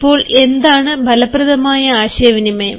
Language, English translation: Malayalam, now, what is an effective communication